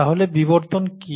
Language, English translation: Bengali, So coming to evolution, and what is evolution